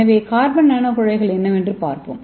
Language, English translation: Tamil, So let us see what is carbon nano tube